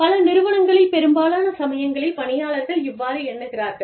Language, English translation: Tamil, Many times, in many organizations, employees feel that